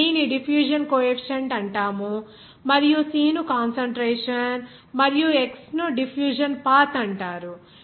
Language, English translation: Telugu, Here D is called diffusion coefficient and C is called concentration and x is called diffusion path